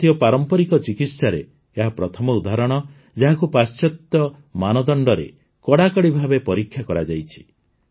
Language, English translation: Odia, This is the first example of Indian traditional medicine being tested vis a vis the stringent standards of Western methods